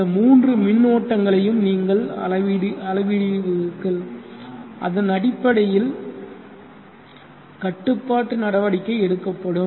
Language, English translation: Tamil, You will measure all these three currents and then based on that the control action will happen and then the control will take place